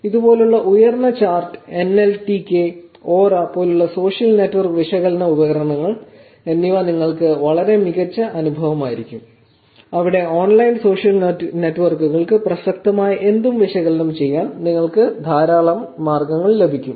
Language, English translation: Malayalam, So, tools like these which is probably high chart, NLTK and social network analysis tools like ora will be actually very, very hands on experience for you where you get a whole lot of ways to actually analyze the data anything that is relevant to online social networks